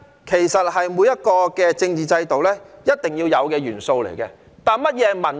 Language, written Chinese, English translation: Cantonese, 其實，民主是每個政治制度必定要有的元素，但甚麼是民主呢？, In fact democracy is an essential element of every political system but what is democracy?